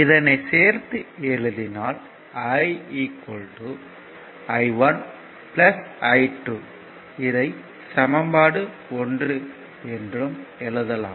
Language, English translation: Tamil, So, it will it will be your what you call i 1 plus i 2